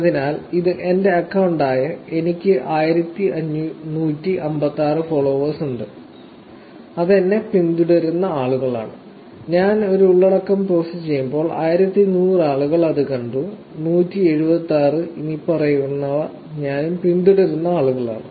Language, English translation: Malayalam, So, this is my account I have 1156 followers which is people who are following me, when I post a content 1100 people are going to see it, 176, the following, are the people who are actually following, whom I am following